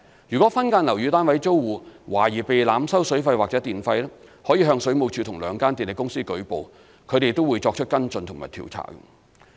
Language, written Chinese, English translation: Cantonese, 如果分間樓宇單位租戶懷疑被濫收水費或電費，他們可向水務署或兩間電力公司舉報，從而作出跟進和調查。, If tenants of subdivided units suspect that they have been overcharged for water and electricity they may report to WSD or the two power companies for follow - up and investigation